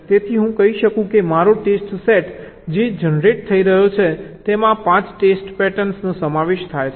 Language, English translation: Gujarati, so, as i can say that my test set that is being generated consist of this: five test patterns